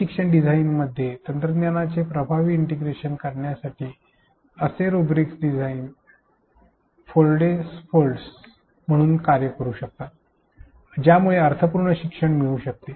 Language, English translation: Marathi, Such rubrics can act as design scaffolds to incorporate effective integration of technology into the e learning design which can lead to meaningful learning